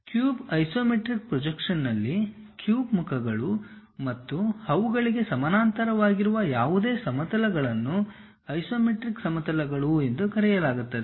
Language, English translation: Kannada, In an isometric projection of a cube, the faces of the cube and any planes parallel to them are called isometric planes